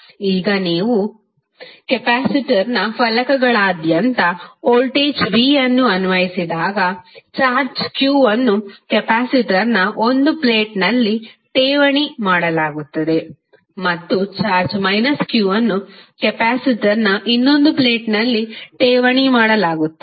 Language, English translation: Kannada, Now, when u apply voltage v across the plates of the capacitor a charge q is deposited on 1 plate of the capacitor and charge minus q is deposited on the other plate of the capacitor